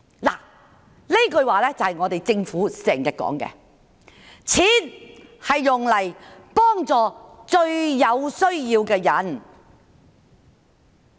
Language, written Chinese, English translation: Cantonese, 這句話正正是政府經常說的：錢是用來幫助最有需要的人。, This sentence is exactly what the Government often says Money should be spent on helping those most in need